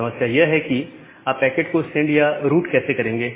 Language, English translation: Hindi, That problem is that how will you route that packet or send that packet